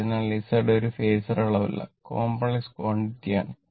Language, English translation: Malayalam, So, Z is not a phasor quantity right, it is a complex quantity